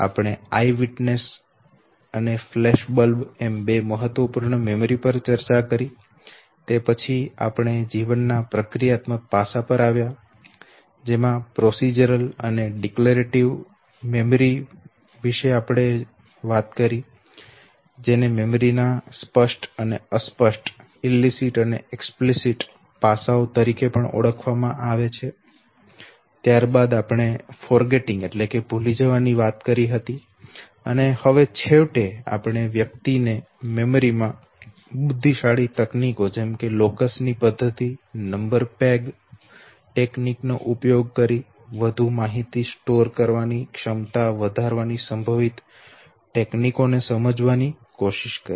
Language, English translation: Gujarati, There also we classified know that eye witness and flash bulb could be two such important different distinct type of memories okay, and then we came to the procedural aspect of the life that we memorize know, you saying that memory can be divided into procedural and declarative memory, what is also called as explicit and implicit aspects of memory, and the we talked about forgetting and now we are finally concluding our discussion on memory trying to understand that there are possible techniques of enhancing the overall ability of an individual to store more and more information using intelligent techniques such as method of locus or number peg technique